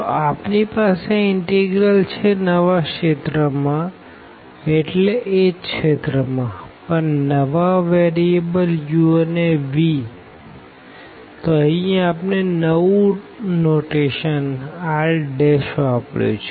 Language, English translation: Gujarati, So, having this we have this integral here over the new region I mean the same region, but for the new variables u and v, so that is what we have used here different notation r prime